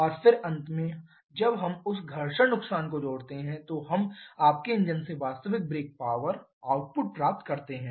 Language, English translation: Hindi, And then finally when we add the frictional losses to that then we get the actual brake power output from your engine